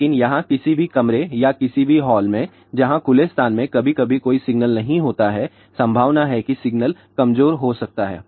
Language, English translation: Hindi, But, so, here any room or any hall wherever there is a no signal sometimes in the open space there is a possibility that signal may be weak or in vague